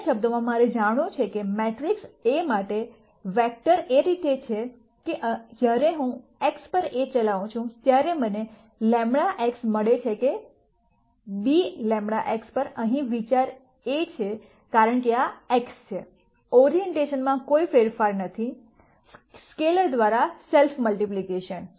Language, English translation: Gujarati, In other words I want to know if there are x vectors for matrix A such that when I operate A on x I get lambda x not b, lambda x here, the idea is because this is x, there is no change in orientation safe multiplication by a scalar